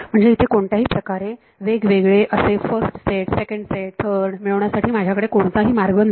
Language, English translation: Marathi, So, there is no way for me to separately find out just you know first set and second set and third